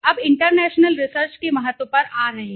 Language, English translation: Hindi, Now coming to the importance of international research